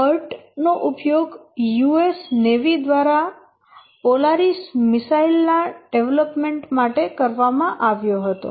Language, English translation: Gujarati, The part was used by US Navi for development of the Polaris missile